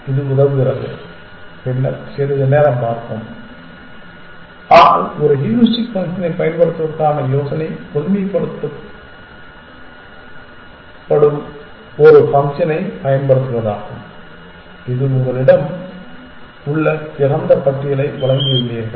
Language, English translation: Tamil, It helps and we will see that little bit later, but to generalize the idea of using a heuristic function is to use a function which will given the choices you have given the open list that you have